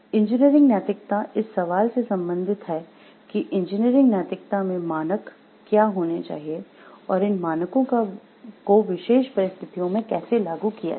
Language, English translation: Hindi, So, engineering ethics is concerned with the question of what the standards in engineering ethics should be, and how to apply these standards to particular situations